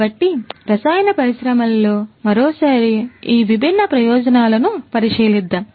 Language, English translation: Telugu, So, in the chemical industry once again, let us have a look at these different benefits